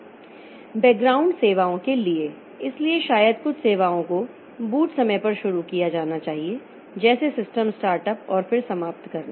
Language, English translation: Hindi, For background services, so maybe some of the services are to be launched at boot time like system start up and then terminate and then some system from system boot to shutdown